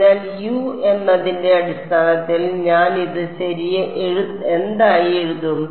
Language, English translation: Malayalam, So, in terms of U what will I write this as